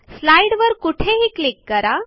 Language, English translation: Marathi, Click anywhere on the slide